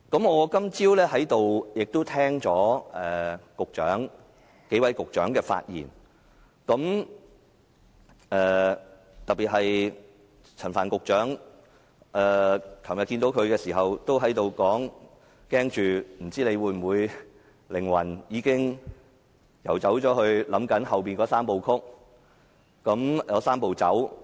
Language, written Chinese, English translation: Cantonese, 我今早在會議廳內聽到數位局長的發言，特別是陳帆局長，昨天遇到他時，我對他表示擔心他的靈魂已經遊走，只懂想着以後的"三步走"。, I listened to the speeches of a number of Secretaries in the Chamber this morning and paid particular attention to that of Secretary Frank CHAN . When I met him yesterday I told him I was worried that his mind is already somewhere else only thinking about the Three - step Process